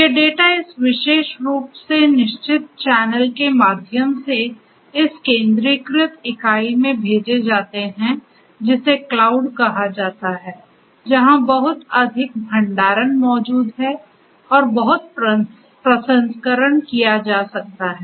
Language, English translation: Hindi, These data are sent through this particular fixed channel to this centralized entity called the cloud where lot of storage is existing and lot of processing can be done